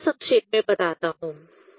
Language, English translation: Hindi, Just I summarize here